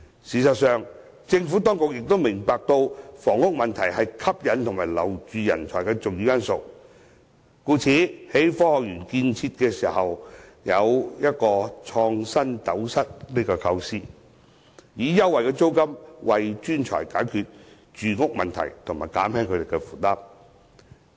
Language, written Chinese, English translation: Cantonese, 事實上，政府當局亦明白，房屋問題是吸引和挽留人才的重要因素，故此在建設科學園時便有"創新斗室"的構思，以優惠租金為專才解決住屋問題及減輕他們的負擔。, In fact the Government is also aware that housing is a major factor in attracting and retaining talents it thus has the idea of developing InnoCell when establishing the Hong Kong Science Park . By offering accommodation to professionals at concessionary rents it is hoped that their housing problem can be resolved and their burden relieved